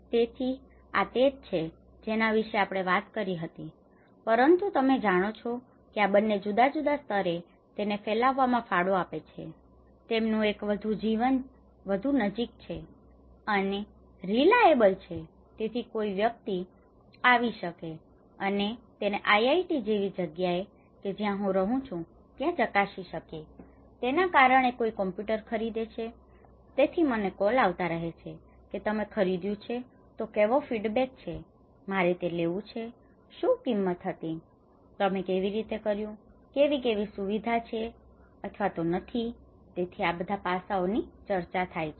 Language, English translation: Gujarati, So, this is what we talked about but these two you know contribute at different levels of diffusion, one is in a very close in a more reliable so because someone can come and check it even in a place like IIT, I am living someone is buying a computer so, I keep getting calls that you bought that that how is the feedback so, shall I take it, what is the prize, how did you; how this facility is there or not there so, all this aspect has been discussed